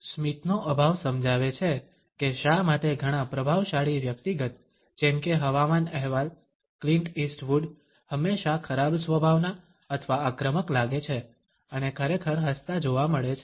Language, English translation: Gujarati, Lack of smiling explains why many dominant individuals such as weather reporting, Clint east wood always seem to the grumpy or aggressive and are really seen smiling